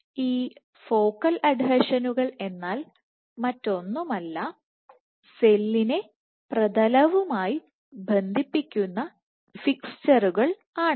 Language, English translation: Malayalam, So, these focal adhesions are nothing, but dynamic fixtures to the ground